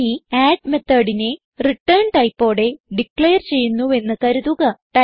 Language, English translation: Malayalam, Suppose now we declare add method with return type